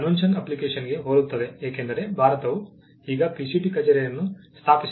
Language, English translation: Kannada, Works very similar to the convention application because, India is now PCT has its PCT office set up in India